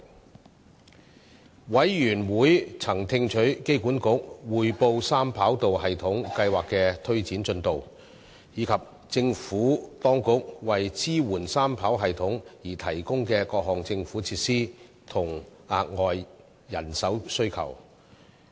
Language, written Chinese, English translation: Cantonese, 事務委員會曾聽取香港機場管理局匯報三跑道系統計劃的推展進度，以及政府當局為支援三跑道系統而提供的各項政府設施和額外人手需求。, The Panel was briefed by the Airport Authority Hong Kong AAHK on the implementation progress of the three - runway system 3RS project the various government measures provided by the Administration to support 3RS and the extra manpower demand